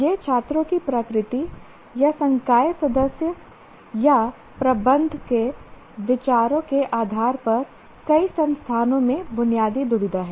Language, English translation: Hindi, This is the basic dilemma in the case of in several institutions depending on the nature of the students or the views of the faculty member or views of the management as well